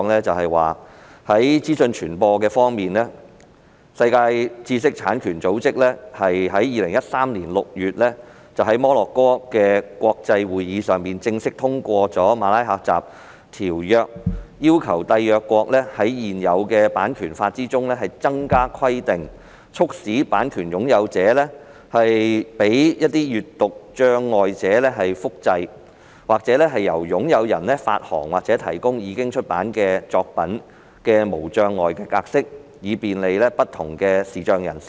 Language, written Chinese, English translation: Cantonese, 在資訊傳播方面，世界知識產權組織在2013年6月在摩洛哥國際會議上正式通過《馬拉喀什條約》，要求締約國在現有版權法之中增加規定，促使版權擁有者容許閱讀障礙者複製或由擁有人發行或提供已出版作品的無障礙格式，以便利不同的視障人士。, As regards the flow of information the World Intellectual Property Organization WIPO officially passed the Marrakesh Treaty at an international conference held in Morocco in June 2013 requiring the contracting parties to include additional requirements in their existing copyright legislation to prompt the copyright owners to allow print - disabled persons to reproduce published works or to distribute or make available accessible format copies of their published works for the convenience of different visually impaired persons